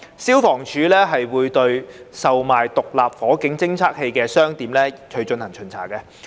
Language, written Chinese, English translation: Cantonese, 消防處會對售賣獨立火警偵測器的商店進行巡查。, The Fire Services Department FSD would conduct checks for shops selling SFDs